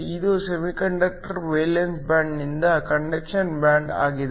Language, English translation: Kannada, This is conductor valence band to conduction band